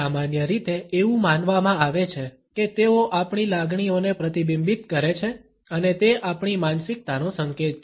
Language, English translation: Gujarati, It is generally believed that they reflect our emotions and are an indication of our mind sets